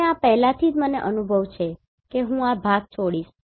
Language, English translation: Gujarati, And this already I have experience I will skip this part